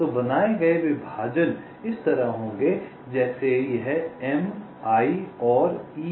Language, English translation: Hindi, so the partitions created will be like this: hm, like this: m i n e a